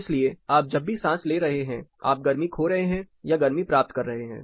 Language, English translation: Hindi, So, whatever you breathe you are also loosing heat or gaining heat